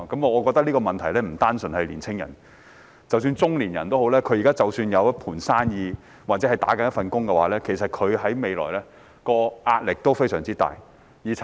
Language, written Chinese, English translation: Cantonese, 我覺得這個問題並非年青人獨有，中年人即使現時有一盤生意或有一份工作，其實未來的壓力也非常大。, I think this problem is not unique to young people . Even middle - aged people who currently have a business or a job are in fact under tremendous pressure about their future